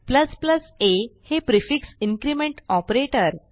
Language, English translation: Marathi, a is a prefix decrement operator